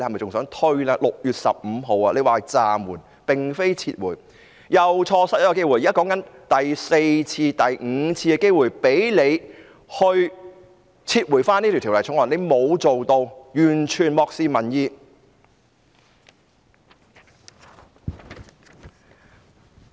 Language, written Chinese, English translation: Cantonese, 特首在6月15日宣布暫緩，並非撤回，又錯失一個機會，現在說的已經是第四次、第五次機會，讓特首撤回《條例草案》，但她沒有這樣做，完全漠視民意。, When the Chief Executive announced on 15 June that it was a suspension not withdrawal she missed another opportunity . What we are saying now is the fourth or the fifth opportunity for the Chief Executive to withdraw the Bill but she did not do that in total disregard for public will